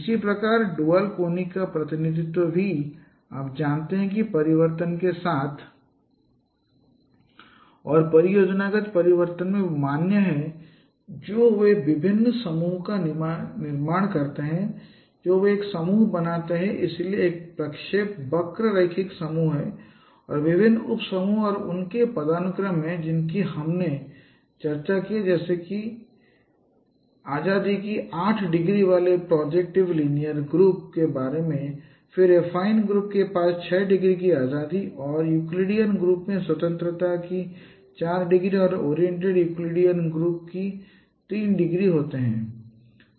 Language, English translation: Hindi, Similarly the dual conics representation also is valid in the transformation space and projective transformation they form various groups they they form a group so that's a projective linear group and there are different subgroups and their hierarchy that we have discussed like we have discussed about projective linear group having eight degrees of freedom then affine group having six degrees of freedom and then Euclidean group having 4 degrees of freedom and oriented Euclidean group having 3 degrees of freedom incidentally Euclidean group is a similarity transformation what we discussed and oriented Euclidean group one of them is an isometric transformation as we discussed